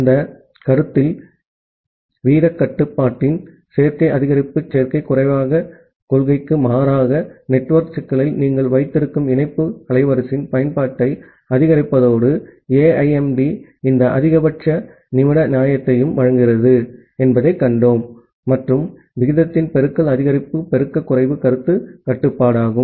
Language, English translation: Tamil, In that notion, we have seen that AIMD provides this max min fairness along with maximizing the utilization of the link bandwidth that you have at the network bottleneck in contrast to additive increase additive decrease principle of rate control, and multiplicative increase multiplicative decrease notion of rate control